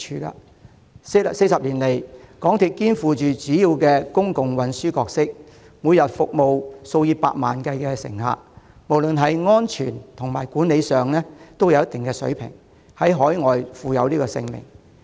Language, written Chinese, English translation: Cantonese, 在過往40年，港鐵肩負主要公共運輸的角色，每天服務數以百萬計乘客，不論在安全或管理上也有一定水平，更在海外享負盛名。, Over the past 40 years MTRCL has played the role of a major public mode of transport serving millions of passengers daily maintaining a certain standard in safety or management while enjoying a renowned reputation overseas